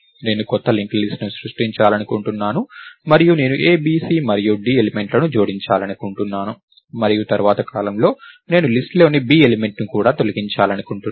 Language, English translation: Telugu, So, I want to create a new linked list and I want to add elements a, b, c and d and may be at a later point of time, I want to even delete the element b in the list